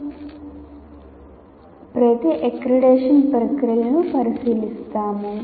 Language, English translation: Telugu, So we will, in the fourth module we will look at the accreditation processes